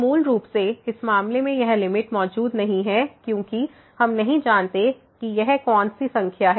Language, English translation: Hindi, So, basically in this case this limit does not exist because we do not know what number is this